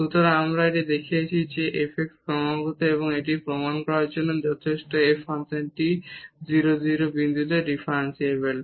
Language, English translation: Bengali, So, here we have shown that this f x is continuous and that is enough to prove that the function f is differentiable at 0 0 point